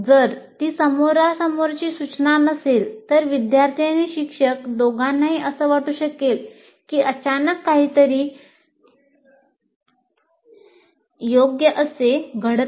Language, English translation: Marathi, If it is not face to face, both the students and teachers may feel somehow suddenly out of place